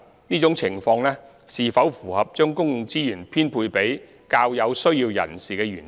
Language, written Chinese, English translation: Cantonese, 這種情況是否符合將公共資源編配給較有需要人士的原則？, Is this arrangement in line with the principle of allocating public resources to those who with a greater need?